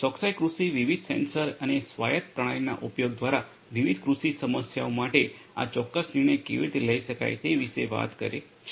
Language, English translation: Gujarati, Precision agriculture talks about that through the use of different sensors and autonomous systems how the precise decision making can be done for different agricultural problems